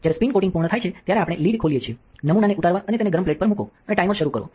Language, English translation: Gujarati, When the spin coating is complete, we open the lid take off our sample and put it on the hot plate and start the timer